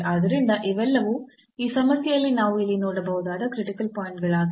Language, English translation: Kannada, So, all these are the critical points which we can see here in this problem